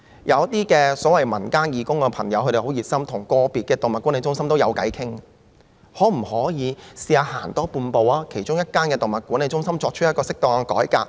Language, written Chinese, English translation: Cantonese, 有一些所謂民間義工的朋友很熱心，他們跟個別動物管理中心也談得來，那麼可否嘗試多走半步，在其中一間動物管理中心作出適當的改革？, Some volunteers from civil groups are very enthusiastic and they are on good terms with individual animal management centres . In that case can we try and take another half step by introducing appropriate reforms to one of the animal management centres?